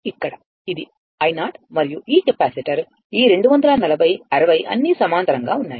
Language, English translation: Telugu, Here, it is i 0 and this capacitor this 240 60 all are in parallel